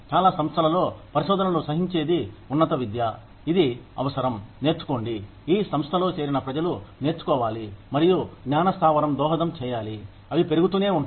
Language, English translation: Telugu, In a lot of institutes of higher education, that promote research, it is this, need to learn, this craving that people, who join that organization, have to learn and to contribute to the knowledge base, that keeps them growing